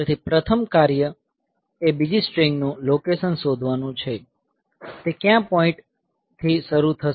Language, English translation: Gujarati, So, first job is to find the location of the second string; from which point it will start, I have to find that